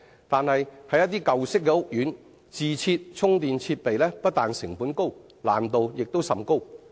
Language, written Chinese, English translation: Cantonese, 但是，在一些舊式屋苑，自設充電設備不但成本高，難度亦甚大。, But in the case of certain old housing estates the retrofitting of charging facilities is not only expensive but also very difficult